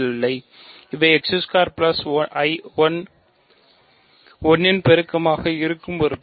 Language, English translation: Tamil, So, these are elements which are multiples of x squared plus 1